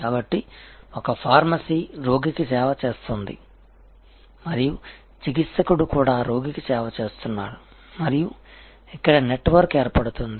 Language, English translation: Telugu, So, there is a pharmacy is serving the patient and the therapist is also serving the patient and there is a network formation here